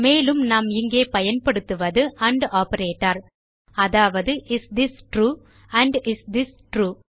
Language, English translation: Tamil, And we are using the and operator here which says Is this true AND is this true